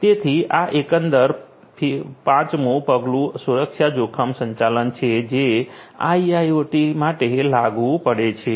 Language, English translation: Gujarati, So, this is this overall 5 step security risk management that is applicable for IIoT